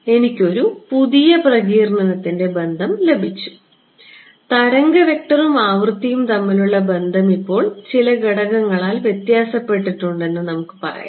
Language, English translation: Malayalam, I have got a new dispersion relation, let us just say that right the relation between wave vector and frequency is now altered by some factor right